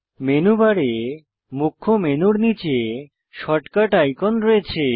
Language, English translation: Bengali, Short cut icons are available below the Main menu on the Menu bar